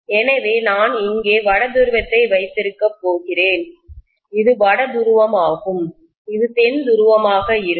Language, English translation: Tamil, So I am going to have North pole here, this is North pole and this is going to be South pole, right